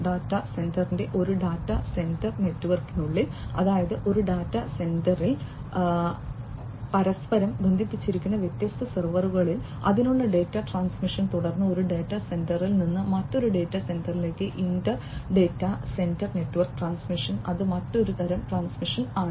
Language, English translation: Malayalam, Within a data center network of data center; that means, different servers interconnected with each other in a data center within that the transmission of the data and then from one data center to another data center, inter data center network transmission, that is another type of transmission